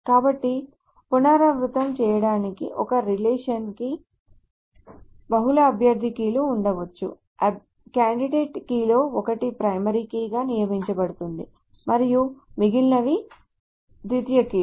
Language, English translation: Telugu, Now if it happens that a relation has a single candidate key, that candidate is of course a primary key with no secondary keys